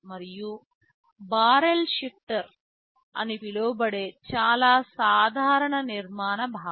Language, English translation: Telugu, And there is something called a barrel shifter which that is a very common architectural concept